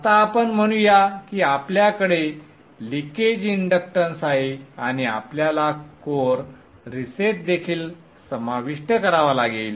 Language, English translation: Marathi, Now let us say we have leakage inductance and we also have to incorporate core resetting